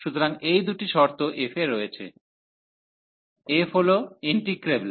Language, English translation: Bengali, So, these are the two conditions on f, f is integrable